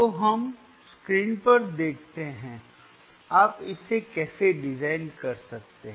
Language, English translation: Hindi, So, let us see on the screen, how it how you can design this